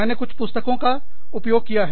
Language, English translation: Hindi, I have used some books